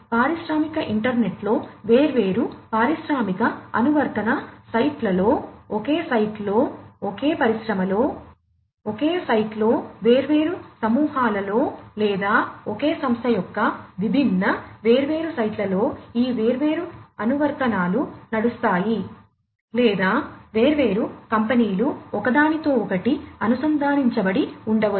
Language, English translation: Telugu, We have these different applications running on the industrial internet, using the industrial internet in different industrial application sites, same site, same site in the same industry different groups or different, different sites of the same company or it could be that different companies are interconnected together